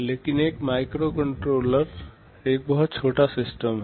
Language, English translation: Hindi, But a microcontroller is a very small system